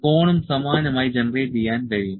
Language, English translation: Malayalam, The cone can also be generated similarly